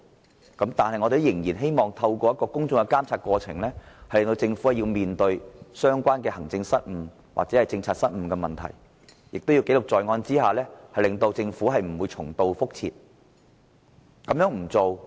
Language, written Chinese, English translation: Cantonese, 不過，我們民主派仍然希望透過公眾監察的過程，藉專責委員會要求政府面對相關的行政或政策失誤，並記錄在案，令政府不會重蹈覆轍。, Despite this the pro - democracy camp still hopes that select committees can be set up to urge the Government to face up to its administrative and policy blunders through the process of public monitoring and recording . It is hoped that the Government will not make the same mistakes again